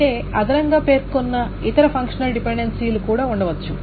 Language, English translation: Telugu, But in addition there may be other functional dependencies that has specified